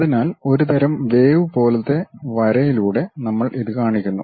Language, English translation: Malayalam, So, we show it by a kind of wavy kind of line